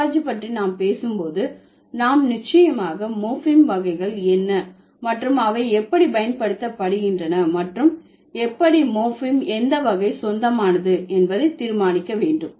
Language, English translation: Tamil, So, when we are talking about typology, we will surely find out what are the types of morphemes and then how they are used and whether like how to decide which morphem belongs to which category